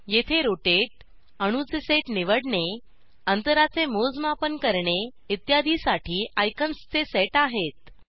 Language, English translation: Marathi, Here is a set of icons to rotate, select a set of atoms, measure distances, etc